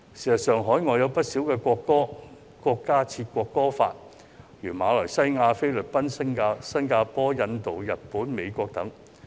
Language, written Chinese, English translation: Cantonese, 事實上，海外有不少國家均制定國歌法，例如馬來西亞、菲律賓、新加坡、印度、日本、美國等。, In fact many foreign countries have enacted national anthem laws such as Malaysia the Philippines Singapore India Japan and the United States